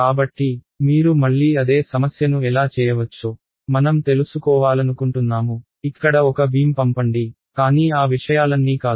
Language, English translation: Telugu, So, how do you again same problem I want to you know send a beam here, but not that all of those things